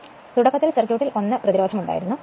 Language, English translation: Malayalam, So initially, when this initially there was 1 resistance in the circuit